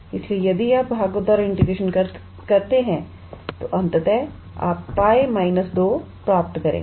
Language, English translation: Hindi, So, if you do the integration by parts, then ultimately you would obtain as pi minus 2